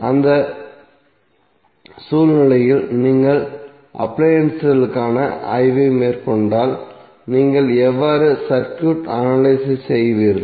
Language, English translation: Tamil, So in that scenario if you are doing the study for appliances, how you will analyze the circuit